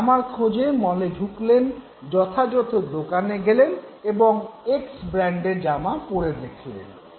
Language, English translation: Bengali, You enter a mall, go to an appropriate shop and then say for example you have tried brand X